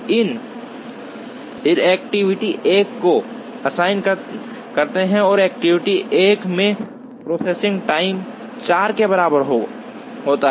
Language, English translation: Hindi, We assign activity 1 and activity 1 has processing time equal to 4